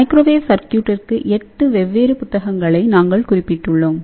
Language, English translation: Tamil, So, you can see that for the microwave circuits there are 8 different books, we have mentioned